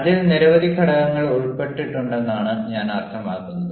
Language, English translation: Malayalam, i mean, there are so many factors involved into it